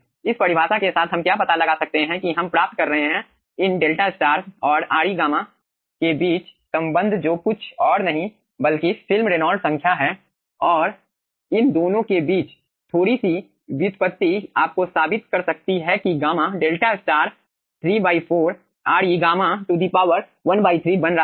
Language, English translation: Hindi, okay, okay, with this definition, what we can find out, we will be getting relationship between these delta star and re gamma, which is nothing but film reynolds number and little bit of derivation between these 2 can be proving you that gamma delta star is becoming 3 by 4, re gamma to the power 1 by 3